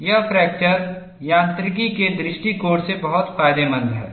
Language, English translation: Hindi, That is very, very advantageous, from fracture mechanics point of view